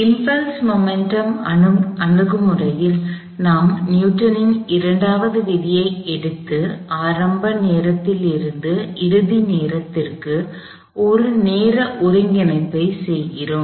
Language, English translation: Tamil, In the impulse momentum approach, we take Newton second law and do a time integration from some initial time t 1 to a final time t 2